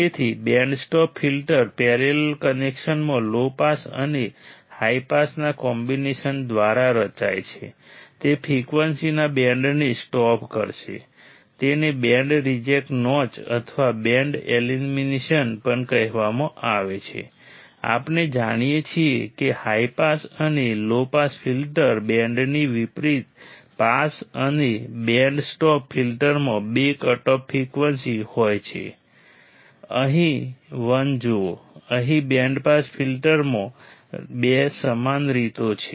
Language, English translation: Gujarati, So, the band stop filter is formed by combination of low pass and high pass in a parallel connection right second is it will stop band of frequencies is also called band reject notch or band elimination, we know that unlike high pass and low pass filter band pass and band stop filters have two cutoff frequencies right see here 1, here 2 same way in band pass filter